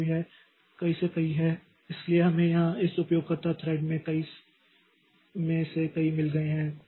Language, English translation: Hindi, So, we have got here we have got this many of this user threads